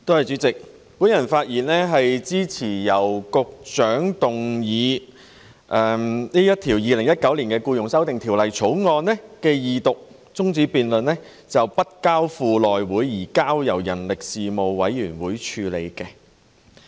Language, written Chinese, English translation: Cantonese, 主席，我發言支持局長動議的議案，將《2019年僱傭條例草案》的二讀辯論中止待續，並交付人力事務委員會而非內務委員會處理。, President I rise to speak in support of the Secretarys motion on adjourning the Second Reading debate on the Employment Amendment Bill 2019 the Bill and referring the Bill to the Panel on Manpower the Panel instead of the House Committee